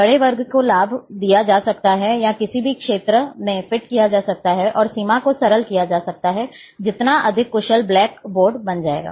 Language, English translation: Hindi, Larger, larger the square can be benefited, or fitted in the any given region, and the simpler the boundary, the more efficient black board becomes